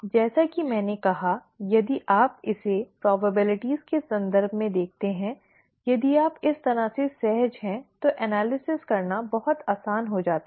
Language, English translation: Hindi, It is, as I said, if you look at it in terms of probabilities, if you are comfortable that way, then it becomes much easier to do the analysis